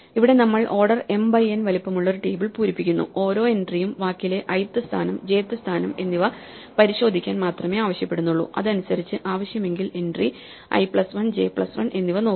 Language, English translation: Malayalam, Here we are filling up table which is of size order m by n and each entry only require us to check the ith position in the word the jth position in the world and depending on that, if necessary look up one entry i plus 1 j plus 1